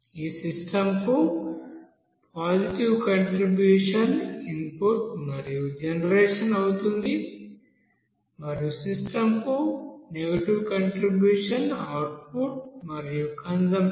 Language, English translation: Telugu, Now positive contribution to this system will be input and generation and negative contribution to the system is output and consumption